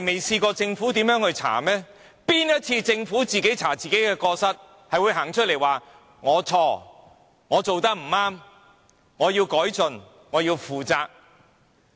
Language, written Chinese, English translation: Cantonese, 試問政府有哪一次調查自己的過失後是會站出來說："是我錯，我做得不對，我要改進，我要負責"？, We did not do it right . We need to improve . We will assume responsibility after any inquiry into its own blunders?